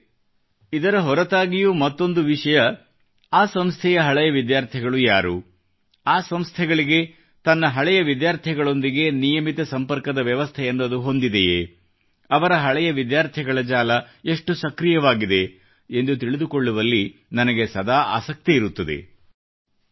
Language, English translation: Kannada, besides this, I am always interested in knowing who the alumni of the institution are, what the arrangements by the institution for regular engagement with its alumni are,how vibrant their alumni network is